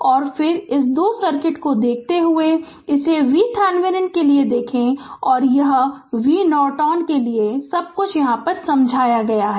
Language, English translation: Hindi, And then your then looking at looking at this two circuit right look at this is for V Thevenin and, this is for V Norton then everything is explained to you right